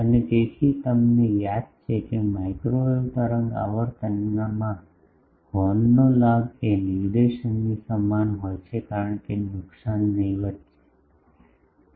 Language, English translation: Gujarati, And so, you remember that in microwave wave frequency is the gain of horn is essentially equal to the directivity as losses are negligible